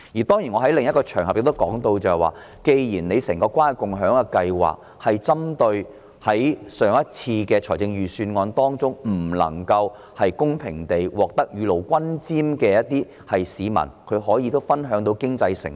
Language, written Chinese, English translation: Cantonese, 當然，我在另一個場合亦提及，政府的整個關愛共享計劃是針對在上次預算案中未能公平地獲得雨露均霑的市民，使他們也可分享經濟成果。, Of course I have also said on another occasion that the whole Caring and Sharing Scheme introduced by the Government is intended for members of the public who could not as a matter of fairness be benefited by the last Budget so that they can share the fruits of economic achievements